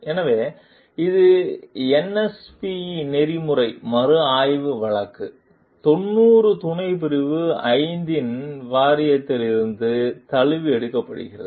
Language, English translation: Tamil, So, this is adapted from NSPE Board of Ethical Review Case 90 subsection 5